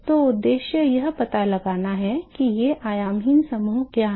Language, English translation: Hindi, So, the objective is to find out what are these dimensions less groups